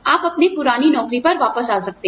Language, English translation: Hindi, You can come back to your old job